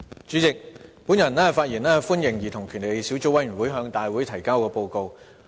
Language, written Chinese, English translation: Cantonese, 主席，我發言歡迎兒童權利小組委員會向大會提交的報告。, President I rise to speak to welcome the report tabled to the Legislative Council by the Subcommittee on Childrens Rights